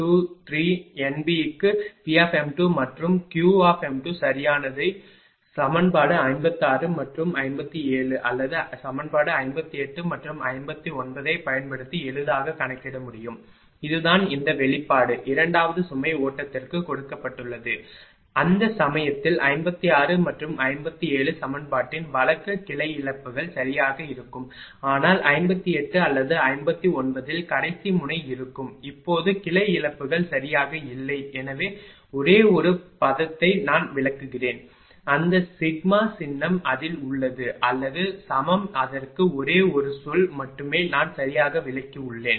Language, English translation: Tamil, So, and P m 2 P m 1 and Q your ah P m 2 and Q m 2 this is P m 2 sorry this is actually P m 2 P m 2 and Q m 2 right for m is equal to 2 3 N B can easily be computed using equation 56 and 57 or equation 58 and 59 this is this all this expression is given for the second load flow case for equation 56 and 57 at that time will branch losses are there right, but in 58 or 59 when is a last node there was no branch losses right so only one term I explain also all those sigma symbol is there in that or is equal to it is only one term that also I have explained right